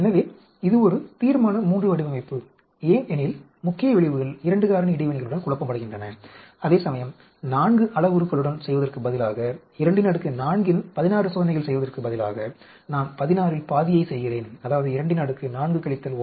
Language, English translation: Tamil, So this is a Resolution III design because in the main effects are confounded with the 2 factor interactions, whereas here instead of doing with the 4 parameter, instead of doing 2 power 4 16 experiments, I am doing half of 16 that is 2 power 4 minus 1